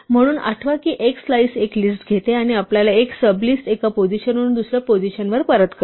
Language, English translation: Marathi, So, recall that a slice takes a list and returns us a sub list from one position to another position